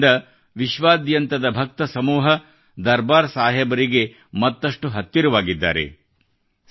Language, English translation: Kannada, With this step, the Sangat, the followers all over the world have come closer to Darbaar Sahib